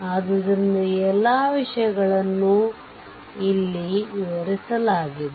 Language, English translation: Kannada, So, all this things are explained here